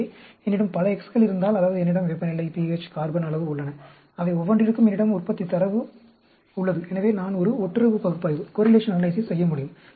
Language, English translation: Tamil, So, if I have many X s, that means, I have temperature, pH, carbon amount, and for each one of them, I have the yield data; so, I can perform a correlation analysis